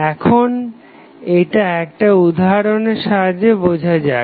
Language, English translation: Bengali, Now, let us understand this aspect with the help of an example